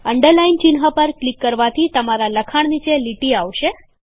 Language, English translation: Gujarati, Clicking on the Underline icon will underline your text